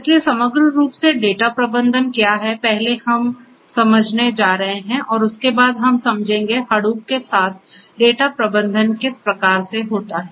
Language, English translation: Hindi, So, what is data management overall is first what we are going to understand and thereafter data management with Hadoop is what we are going to understand